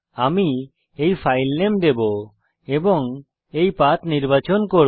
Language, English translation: Bengali, I will give this filename and choose this path